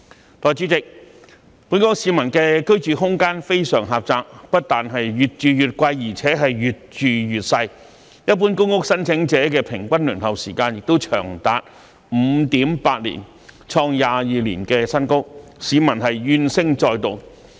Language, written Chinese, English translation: Cantonese, 代理主席，本港市民的居住空間非常狹窄，不但越住越貴，而且越住越細，一般公屋申請者的平均輪候時間亦長達 5.8 年，創22年新高，市民怨聲載道。, Deputy President the living space of Hong Kong people is very small . Not only is housing getting more and more expensive but the living space is getting smaller and smaller . The average waiting time of general public housing applicants has reached 5.8 years hitting a record high in 22 years thereby resulting in widespread grievances among members of the public